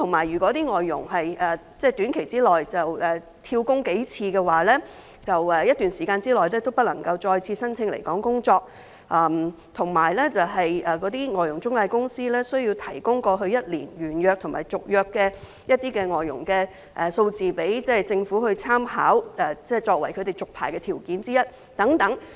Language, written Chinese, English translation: Cantonese, 如果外傭在短期內"跳工"數次，他們在一段時間內便不能再次申請來港工作，而外傭中介公司亦需要提供過去一年完約及續約外傭的數字，供政府參考，作為這些中介公司續牌的條件之一。, If FDHs have job - hopped several times within a short time they cannot apply for working in Hong Kong again within a specified period . Intermediaries for FDHs are also required to provide the numbers of FDHs who have completed their contracts and had their contracts renewed over the past one year for the Governments reference . This serves as one of the conditions for renewing the licences of these intermediaries